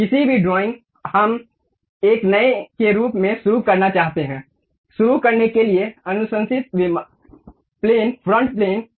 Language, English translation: Hindi, Any drawing we would like to begin as a new one the recommended plane to begin is front plane